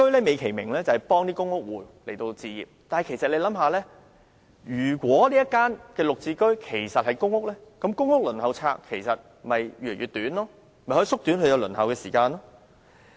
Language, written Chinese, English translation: Cantonese, 美其名，"綠置居"旨在協助公屋戶置業，但大家試想想，假如"綠置居"單位是公屋，公屋輪候冊便可以越來越短，可以縮短輪候時間。, GHS is touted as a scheme which helps PRH tenants to become home owners . However come to think about this if all GHS units were in fact PRH units the Waiting List for PRH would become shorter and shorter thereby reducing the waiting time for applicants